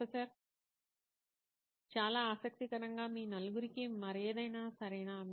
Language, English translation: Telugu, Very interesting, okay anything else all four of you